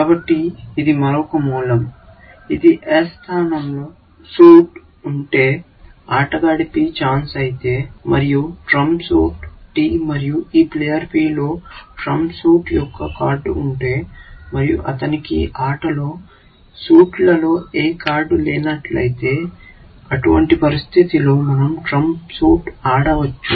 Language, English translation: Telugu, So, this is the another root, which says that if the suit in place s; if the turn of the player is P, is there; the trump suit is T, and this player P has a card of the trump suit, and he does not have any card in the suit, which is in play; then we can play the trump suit